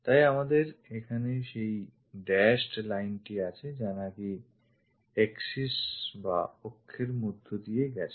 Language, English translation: Bengali, So, we have that dashed lines here axis pass through that